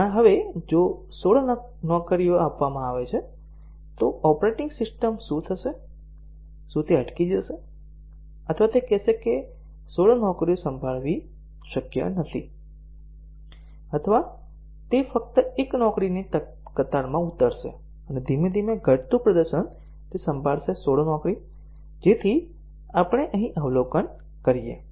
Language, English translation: Gujarati, And now if 16 jobs are given, what would happen to the operating system, would it just hang, or would it say that 16 jobs are not possible to handle, or would it just queue up 1 job and slowly degraded performance it will handle the 16 job, so that is what we observe here